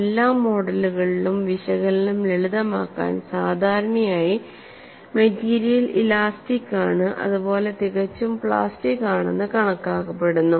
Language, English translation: Malayalam, And in all the models to simplify the analysis usually the material is assumed to be elastic perfectly plastic